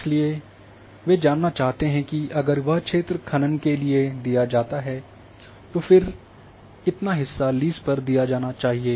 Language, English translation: Hindi, So, they want to know that if mining is done then how much area has to given for the lease